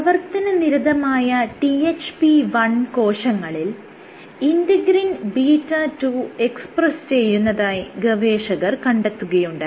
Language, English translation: Malayalam, So, what they found was integrin beta 2 expression led to beta 2 expression was activated in THP1 cells